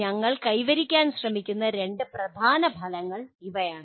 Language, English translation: Malayalam, These are the two major outcomes that we are trying to attain